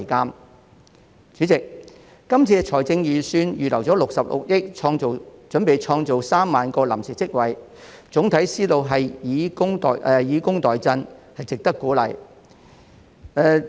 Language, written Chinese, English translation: Cantonese, 代理主席，這份預算案預留了66億元，準備創造3萬個臨時職位，總體思路是以工代賑，值得鼓勵。, Deputy President this Budget earmarked 6.6 billion to prepare for the creation of 30 000 temporary jobs . The adoption of a welfare - to - work approach is worth encouraging